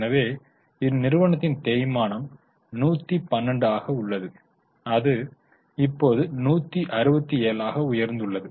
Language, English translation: Tamil, So, depreciation is 112, now it has increased to 167